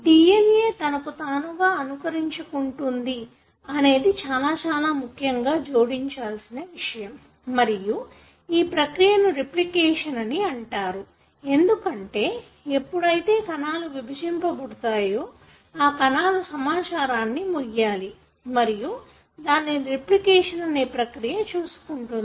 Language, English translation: Telugu, What is also added to that is that the ability of the DNA to copy itself which is very, very essential and this process is known as replication because when the cells divide, they have to carry, each cell has to carry the information and this is, this is taken care by the process that we call as replication